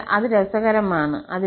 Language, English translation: Malayalam, So, that is interesting